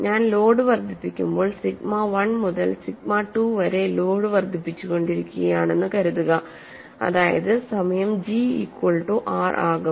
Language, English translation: Malayalam, Suppose I keep increasing the load, when I increase the load from sigma 1 to sigma 2 that is the time, where G becomes equal to R